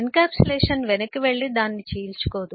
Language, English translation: Telugu, Encapsulation does not go back and rip that apart